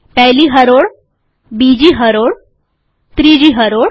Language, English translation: Gujarati, First row, second row, third row